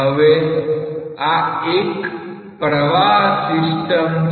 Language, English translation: Gujarati, Now, see this is a flowing system